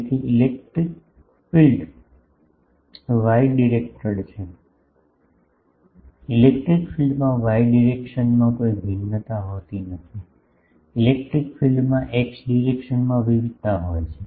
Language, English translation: Gujarati, So, electric field is y directed electric field does not have any variation in the y direction; electric field has variation in the x direction